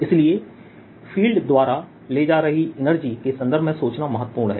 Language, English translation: Hindi, so its its important to think in terms of the energy being carried by the fields